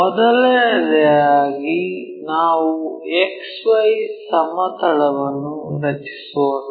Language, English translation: Kannada, First of all let us draw a X Y plane